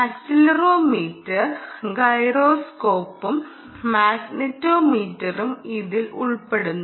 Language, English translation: Malayalam, this is includes accelerometer, accelerometer, ah, gyroscope and, of course, magnetometer